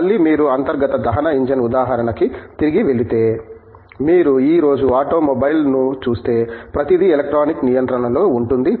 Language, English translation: Telugu, Again, if you go back to internal combustion engine example, if you look at an automobile today, everything is electronically controlled